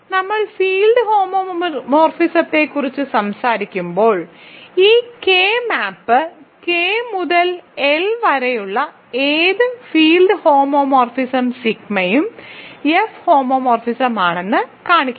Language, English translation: Malayalam, So, this K map when we talked about field homomorphisms, so show that any field homomorphism sigma from K to L is an F homomorphism right